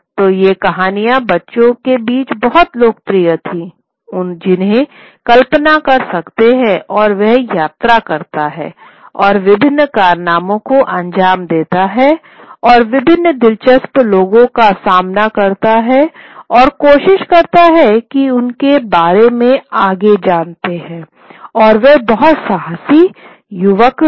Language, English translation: Hindi, So it's very popular with the these these stories were very popular with the kids one can imagine and he travels and takes on various adventures and encounters various interesting people and and tries his you know prowess over them daring he is a very daring young man